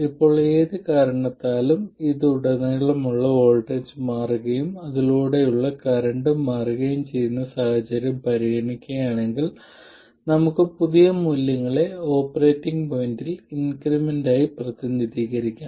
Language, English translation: Malayalam, Now, if we consider the case where, because of whatever reason the voltage across this changes and the current through it also changes then we can represent the new values to be increments over the operating point okay so ID and VD are increments over the operating point